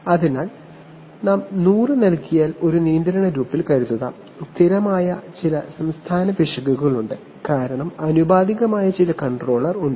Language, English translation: Malayalam, So, suppose in a control loop if you give hundred, there is some steady state error because there is some proportional controller